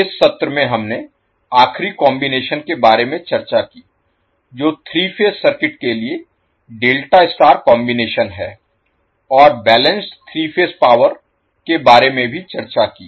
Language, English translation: Hindi, In this session we discussed about the last combination that is delta star combination for the three phase circuit and also discussed about the balanced three phase power